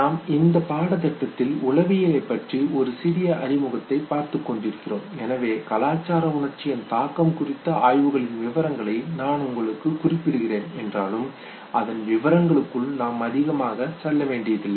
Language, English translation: Tamil, We are going through the brief introductory psychology course and therefore we will not go into the details of studies on the effect of cultural emotion, but I must just refer to it you need not go into the details of it